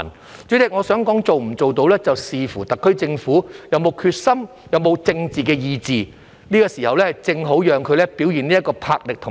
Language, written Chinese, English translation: Cantonese, 代理主席，我想說，能否做得到，是要視乎特區政府有沒有決心、有沒有政治意志，這個時候正好讓它表現魄力和意志。, Deputy President I would like to say that whether this can be done depends on whether the SAR Government has the determination and political will and this is the right time for it to show its vigour and determination